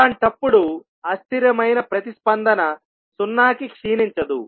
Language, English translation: Telugu, In that case transient response will not decay to zero